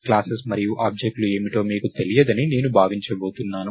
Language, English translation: Telugu, So, I am going to assume that you don't know what classes and objects are